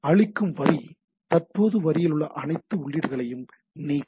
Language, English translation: Tamil, Erase line delete all inputs in the current line right